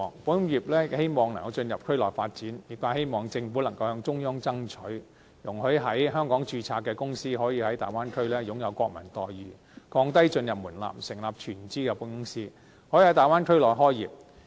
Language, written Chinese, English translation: Cantonese, 保險業界希望能夠進入區內發展，業界希望政府能夠向中央爭取，容許在香港註冊的公司可以在大灣區擁有國民待遇，降低進入門檻，成立全資的保險公司，可以在大灣區內開業。, The insurance sector wants to enter the Bay Area market . It hopes that the Government can ask the Central Authorities to accord national treatment to Hong Kong - registered companies in the Bay Area . It hopes that the entry threshold can be lowered and wholly - owned insurance companies can be allowed to operate in the Bay Area